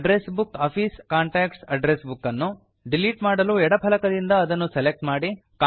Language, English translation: Kannada, To delete the address book Office Contacts from the left panel select it